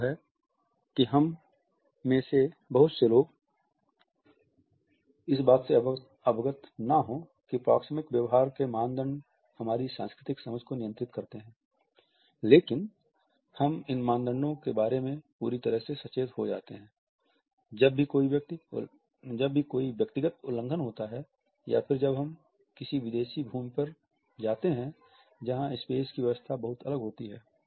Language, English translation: Hindi, Many of us may not be aware that the norms of proxemic behavior govern our cultural understanding, but we become acutely conscious of these norms whenever there is a suggested violation or when we visit a foreign land where the arrangement of a space is very different from what we had been used to perceive up till that point